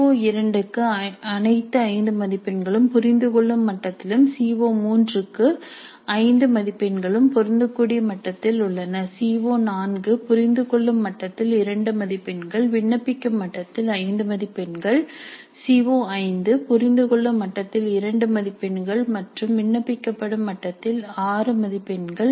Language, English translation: Tamil, For CO2 all the 5 marks are at understand level and for CO3 all the 5 marks are at apply level and for CO4 2 marks are at understand level and 5 marks are at apply level and for CO5 2 marks at understand level and 6 marks at apply level